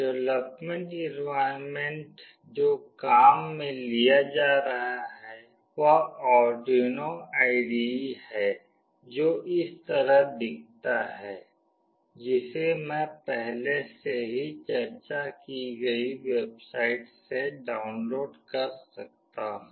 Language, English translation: Hindi, The development environment used is Arduino IDE, which looks like this, which can be downloaded from the website I have already discussed